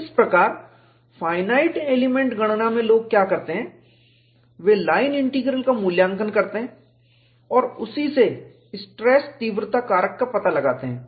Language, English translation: Hindi, That is how, in finite element computation, what people do is, they evaluate the line integral and from that, find out the stress intensity factor